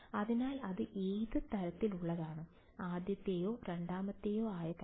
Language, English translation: Malayalam, So, its what kind does it look like, first or second kind